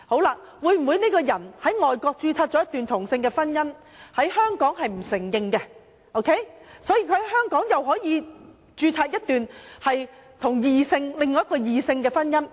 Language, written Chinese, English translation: Cantonese, 若某人在外國註冊了一段同性婚姻，但該婚姻在香港不獲承認，他可否在香港與一名異性註冊另一段婚姻？, If someone has registered a same - sex marriage overseas but the marriage is not recognized in Hong Kong can he register the marriage in Hong Kong for a second time with an opposite - sex person?